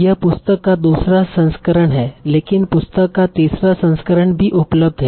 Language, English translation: Hindi, So this is the second edition, but there may also be the third edition that is available